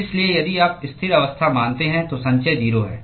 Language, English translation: Hindi, So, if you assume steady state, accumulation is 0